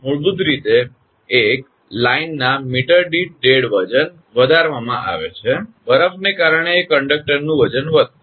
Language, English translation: Gujarati, Basically one is increased the dead weight per meter of the line, because of ice that conductor weight will increase